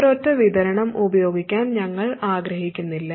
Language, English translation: Malayalam, We want to use a single supply